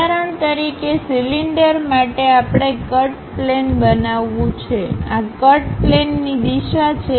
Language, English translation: Gujarati, For example, for a cylinder we want to make a cut plane; this is the cut plane direction